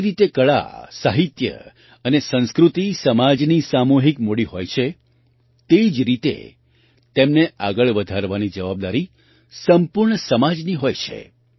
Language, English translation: Gujarati, Just as art, literature and culture are the collective capital of the society, in the same way, it is the responsibility of the whole society to take them forward